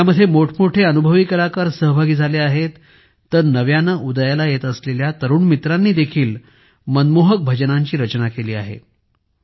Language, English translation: Marathi, There are many experienced artists in it and new emerging young artists have also composed heartwarming bhajans